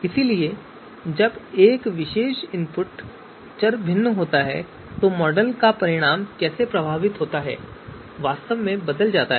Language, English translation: Hindi, So when the input particular variable, when a particular input variable is varied then how the model results are actually changing